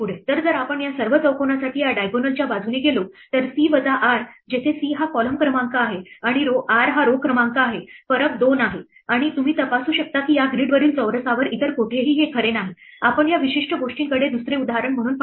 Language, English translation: Marathi, So, if we go along this diagonal for all these squares, c minus r where c is the column number and r is a row number the difference is exactly 2 and you can check that nowhere else on the square on this grid is this true, as another example if you look at this particular thing